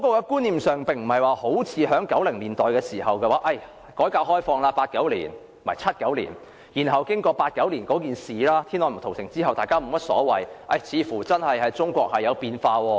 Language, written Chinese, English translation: Cantonese, 觀念上跟1990年代不同 ，1979 年改革開放，然後經過1989年天安門屠城後，似乎中國真的改變了。, Unlike the 1990s 1979 was conceptually the year of reform and opening - up . Having weathered the Tiananmen Massacre in 1989 China seemed to have changed